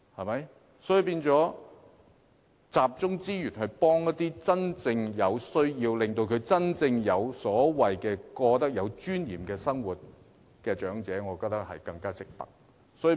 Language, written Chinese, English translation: Cantonese, 因此，集中資源幫助真正有需要的人，讓長者過真正有尊嚴的生活，我認為更值得考慮。, Therefore I believe we should consider concentrating the resources on people who are really in need and let the elderly live a genuinely dignified life